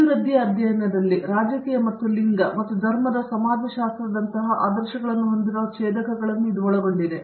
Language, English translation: Kannada, In the developmental studies, the intersections with this with ideals like politics and gender and sociology of religion